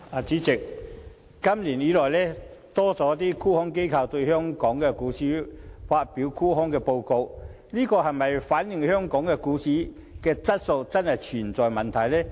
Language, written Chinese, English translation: Cantonese, 主席，今年有多間沽空機構針對香港股市發表沽空報告，這是否反映香港股市的質素真的存在問題？, President this year a number of short selling institutions published research reports targeted at Hong Kongs stock market